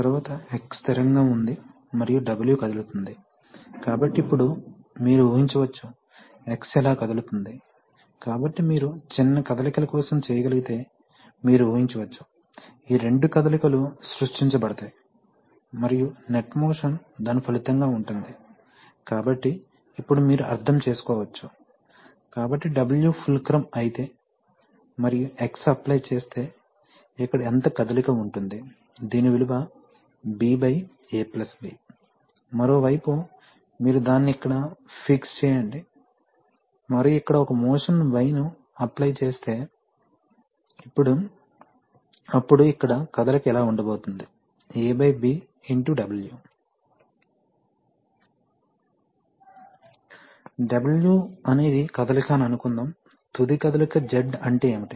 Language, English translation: Telugu, Next you imagine that, X is fixed and W is moving, so now you imagine that, it is moving like this about X, so this is, so if you can for small motions, you can imagine that, that these two motions are the motions which will be created, and the net motion is going to be a resultant of that, so now you can understand, so if W is the fulcrum and if X is applied, if an amount is applied then what is going to be the motion here, right, so that is going to be, that is going to be b by a plus b into x